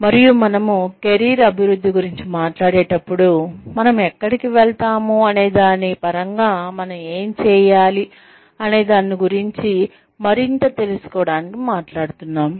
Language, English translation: Telugu, And, when we talk about, career development, we are essentially talking about, learning more about, what we are doing, in terms of, where it can take us